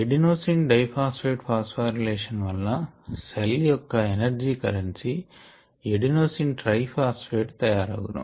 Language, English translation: Telugu, adenosine triphosphate is made by the phosphoral relation of adenosine diphosphate